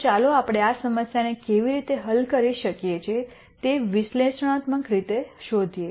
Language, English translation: Gujarati, So, let us get back to finding out analytically how we solve this problem